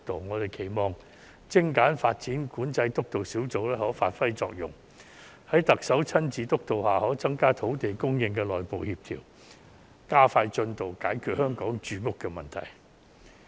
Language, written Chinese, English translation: Cantonese, 我期望精簡發展管制督導小組可以發揮作用，在特首親自督導下可在土地供應方面的加強內部協調，加快進度解決香港的住屋問題。, I expect the Steering Group on Streamlining Development Control to strengthen internal coordination in respect of land supply and promptly resolve the housing problem in Hong Kong under the supervision of the Chief Executive